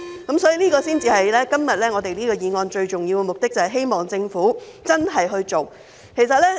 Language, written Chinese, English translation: Cantonese, 今天這項議案最重要的目的，就是希望政府要認真處理問題。, The most important purpose of the motion today is to urge the Government to seriously deal with the problems